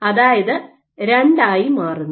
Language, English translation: Malayalam, So, that is 2